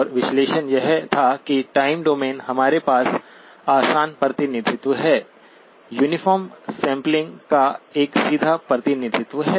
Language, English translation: Hindi, And the analysis was that the time domain, we have the easy representation, a straightforward representation of uniform sampling